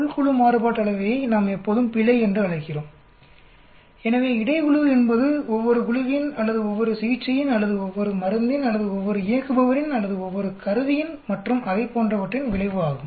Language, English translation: Tamil, Within group Variance we always call it error, so Between group is the effect of each group or each treatment or each drug or each operator or each instruments and so on